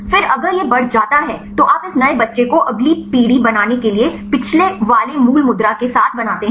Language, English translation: Hindi, Then if it is increases then you make the this new child ones with the previous ones original pose to make next generation